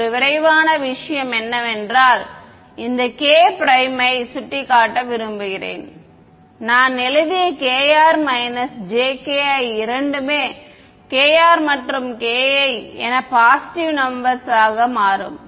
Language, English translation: Tamil, One quick thing I want to point out that this k prime which I have written as k r minus j k i both k r and k i will turn out to be positive numbers ok